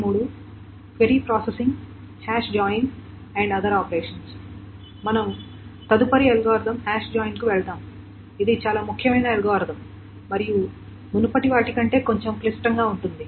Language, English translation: Telugu, We will move on to the next algorithm which is a very, very important algorithm and a little more complicated than the previous ones